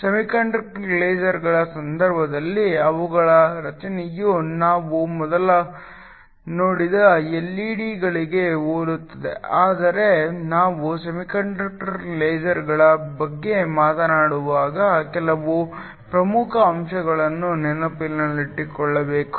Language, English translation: Kannada, In the case of semiconductor lasers their structure is very similar to the LED’s that we saw before, but there are some important points to keep in mind when we talk about semiconductor lasers